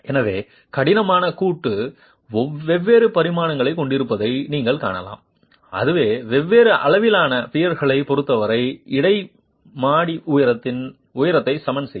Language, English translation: Tamil, So, you can see that the rigid joint is of different dimensions and that is what will equalize the interstory height with respect to different sizes of piers